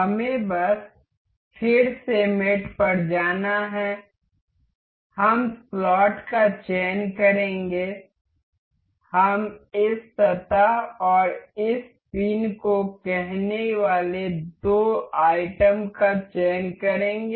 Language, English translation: Hindi, Let us just go to mate again we will select slot, we will select two items say this surface and this pin